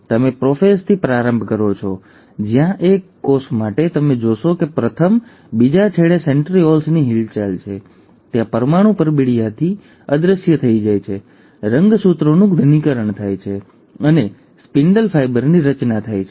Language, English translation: Gujarati, So, you start in prophase where for the single cell, you find that the first, there is a movement of the centrioles to the other end, there is a disappearance of the nuclear envelope, there is the condensation of the chromosomes and there is the formation of the spindle fibre